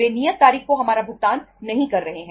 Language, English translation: Hindi, They are not making our payment on the due date